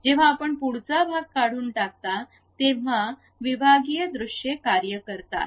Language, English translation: Marathi, When you are removing the frontal portion, that is the way sectional views works